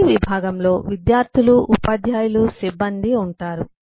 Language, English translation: Telugu, every department will have students, teachers, staff